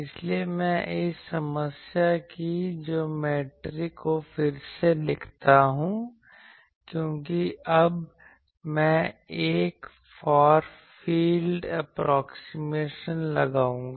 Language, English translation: Hindi, So, I now write the this geometry of the problem again because now, I will make a Far field approximation